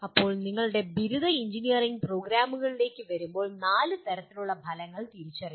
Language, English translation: Malayalam, Now, coming to our undergraduate engineering programs there are four levels of outcomes identified